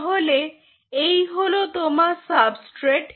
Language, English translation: Bengali, so here you have the substrate